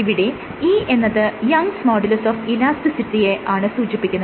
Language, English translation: Malayalam, So, E corresponds to the youngs modulus of elasticity